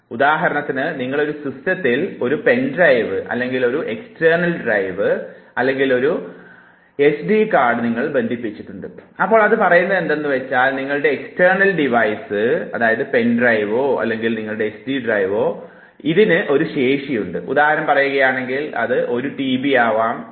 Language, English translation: Malayalam, Say for instance you have attached a pen drive or an external drive or SD card in a system and then you realize that it says that your external devise, your pen drive or your SD drive has this capacity, say for instance it has one tb that is a size